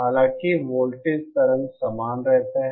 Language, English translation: Hindi, However, the voltage waveform remains the same